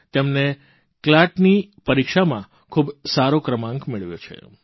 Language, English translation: Gujarati, She has also secured a good rank in the CLAT exam